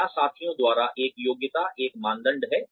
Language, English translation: Hindi, Is likeability by peers, a criterion